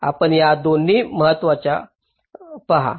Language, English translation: Marathi, you see, both of these are important